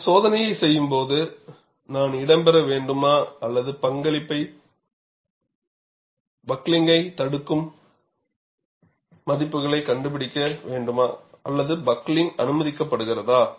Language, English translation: Tamil, When you do a testing, should I have buckling to take place or should I find out the values preventing buckling or having the buckling allowed